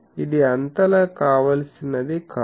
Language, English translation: Telugu, So, it is not very desirable